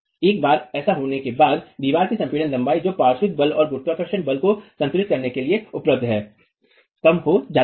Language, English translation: Hindi, Once that has occurred, the compressed length of the wall that is available for equilibrium the lateral force and the gravity force is reduced